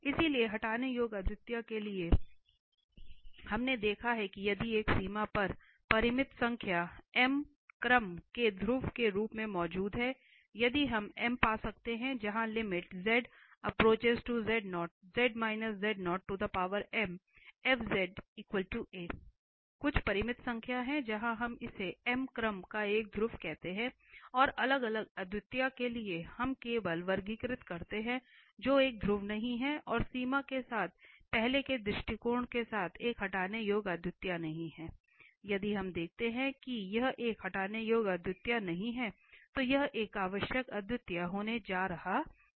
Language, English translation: Hindi, So, using limit also we can classify, so for the removable we have observe that if this limit exist as a finite number, pole of order m if we can find an m where z minus z0 power m and fz equal to A, some finite number exist then we call this is a pole of order m and for the isolated singularity we just classify which is not a pole and not a removable singularity with the earlier approach here with the limits if we see that this is not a removable singularity, this is not a pole then this is going to be an essential singularity